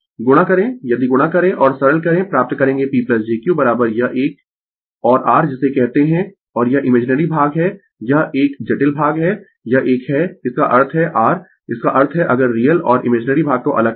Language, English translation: Hindi, You multiply if you multiply and simplify you will find P plus jQ is equal to this one and your your what you call and this imaginary part is this one complex part is this one; that means, your; that means, if you separate real and imaginary part